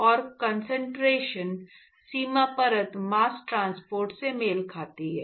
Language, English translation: Hindi, And, concentration boundary layer corresponds to mass transport